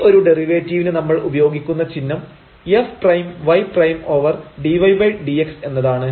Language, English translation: Malayalam, And, the notation here we use for the derivative are f prime y prime over dy over dx